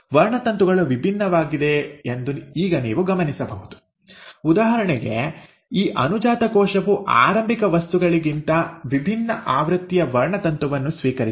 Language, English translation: Kannada, Now you will notice that the chromosomes are different; for example this daughter cell has received a different version of the chromosome than the starting material